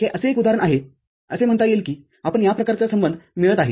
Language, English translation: Marathi, This is just an example say, this kind of relationship you are getting